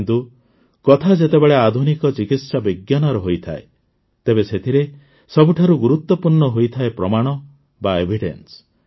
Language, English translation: Odia, But when it comes to modern Medical Science, the most important thing is Evidence